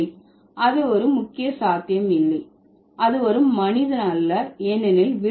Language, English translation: Tamil, No, that's not possible for a key because that's not a human